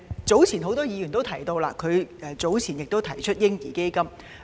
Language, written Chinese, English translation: Cantonese, 早前，蔣議員亦曾提出設立嬰兒基金。, Earlier on Dr CHIANG had also proposed the establishment of a baby fund